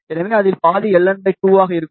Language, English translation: Tamil, So, half of that will be L n by 2